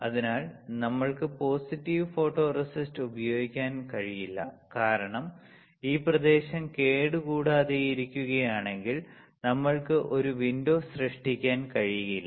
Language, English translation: Malayalam, So, we cannot use positive photoresist, is it not because if this area is intact, we cannot create a window